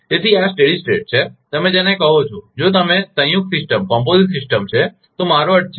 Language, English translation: Gujarati, So, this is the steady state, your what you call if the you, if it is a composite system, I mean